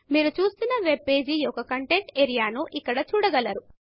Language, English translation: Telugu, This is where you see the content of the webpage you are viewing